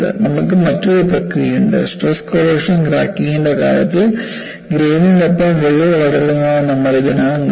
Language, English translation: Malayalam, And you have another process, we have already seen that in the case of stress corrosion cracking, where you had the crack growth along the grains